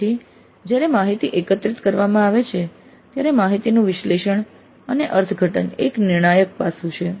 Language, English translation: Gujarati, So when the data is collected, analysis and interpretation of the data is a crucial aspect